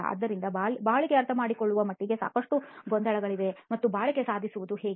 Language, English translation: Kannada, So there is a lot of confusion as far as understanding durability is concerned and how to achieve this durability